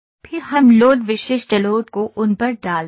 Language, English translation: Hindi, Then we put the load specific loads those are there